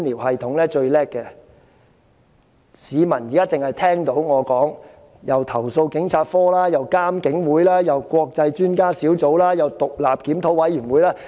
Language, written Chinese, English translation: Cantonese, 市民現在聽我發言，會聽到既有投訴警察課，又有監警會，再有國際專家小組，後又有獨立檢討委員會。, People listening to my speech may find themselves bombarded by names such as CAPO IPCC International Expert Panel and independent review committee